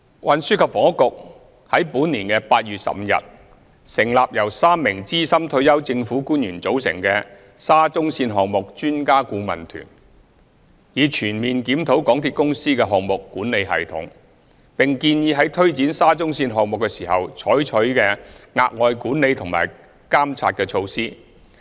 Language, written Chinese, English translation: Cantonese, 運輸及房屋局在本年8月15日成立由3名資深退休政府官員組成的沙中線項目專家顧問團，以全面檢討港鐵公司的項目管理系統，並建議在推展沙中線項目時應採取的額外管理和監察措施。, The Transport and Housing Bureau established on 15 August this year an Expert Adviser Team for the SCL Project . Comprising three senior retired government officers the Expert Adviser Team will conduct an overall review of MTRCLs project management system and recommend additional management and monitoring measures to be undertaken as appropriate in taking forward the SCL Project